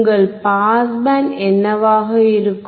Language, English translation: Tamil, What will be your pass band